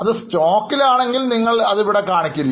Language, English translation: Malayalam, If it is in stock, you will not take it here